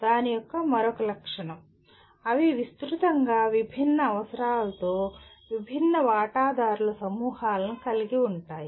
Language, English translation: Telugu, And another feature of that, they involve diverse groups of stakeholders with widely varying needs